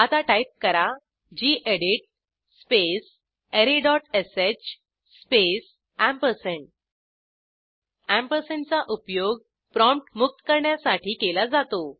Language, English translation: Marathi, Now Type: gedit space array.sh space We use the ampersand to free up the prompt